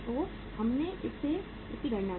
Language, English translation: Hindi, So we have calculated it